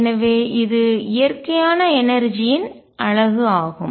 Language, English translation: Tamil, So, this is a natural unit of energy